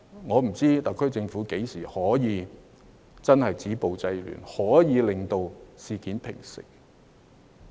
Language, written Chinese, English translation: Cantonese, 我不知道特區政府何時才能夠真正止暴制亂，令事件平息。, I dont know when the HKSAR Government can truly stop the violence and curb disorder so that the situation can calm down